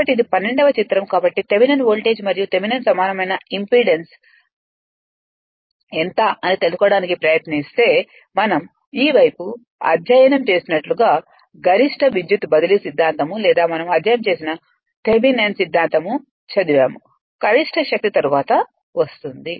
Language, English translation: Telugu, So, if you try to find out the your what you call Thevenin voltage and your what you call Thevenin equivalent impedance, as we the this side as if we have studied in your say the maximum power transfer theorem or your Thevenins theorem we have studied know, maximum power will come later